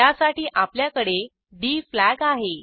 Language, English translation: Marathi, For that, we have the d flag